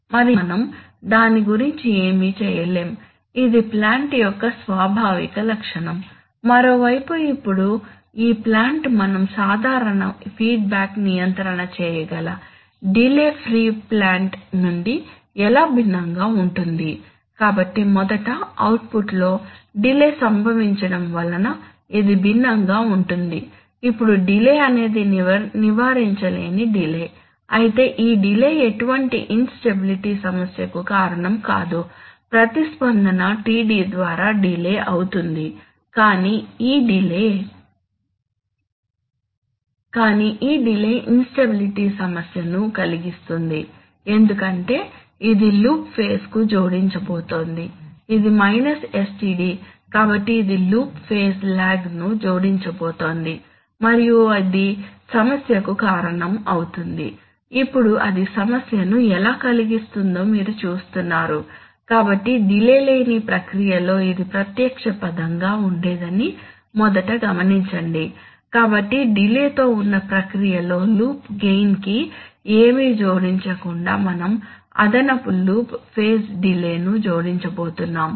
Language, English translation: Telugu, And we cannot do anything about it, it is the inherent characteristic of the plant, on the other hand, now, this plant apart from the delay, how is this plant different from the delay free plant with which we can do ordinary feedback control so firstly it is different in the way that there is a delay caused in the output, now a delay is a delay which cannot be avoided but nevertheless this delay is not going to cause any problem in stability, simply the response will be delayed by an amount TD which cannot be helped but it is this delay, which is going to cause problem in the stability because it is going to add to the loop phase, right, this is minus sTd, so it is going to add loop phase lag and it is this that is going to cause the problem, now you see that, how does it cause the problem, so to understand that let us first notice that, in the delay see free process this would have been a direct term, so in that, in the delayed process we are going to add additional loop phase delay without adding anything to the loop gain because the magnitude of this operator is always one, only there is a phase lag, so having noticed that